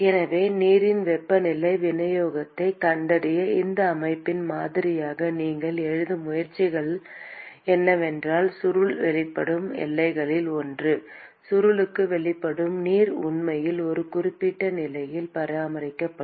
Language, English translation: Tamil, So, if you are trying to write a model of this system to find the temperature distribution of water, then one of the boundaries to which the coil is exposed to to which the water is exposed to the coil will actually be maintained at a certain constant temperature